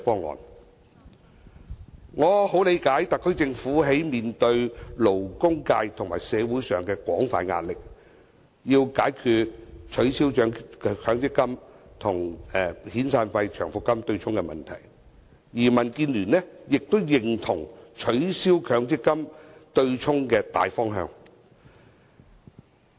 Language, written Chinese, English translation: Cantonese, 我非常理解特區政府面對勞工界和社會上的廣泛壓力，要解決取消強積金與遣散費、長期服務金對沖的問題，而民建聯亦認同取消強積金對沖的大方向。, I deeply understand that the SAR Government is under extensive pressure from the labour sector and the community urging it to address the issue of abolishing the offsetting of severance payments or long service payments against MPF contributions